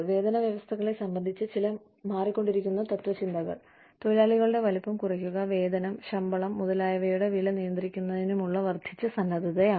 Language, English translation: Malayalam, Some changing philosophies, regarding pay systems are, the increased willingness, to reduce the size of the workforce, and to restrict pay, to control the cost of wages, salaries, etcetera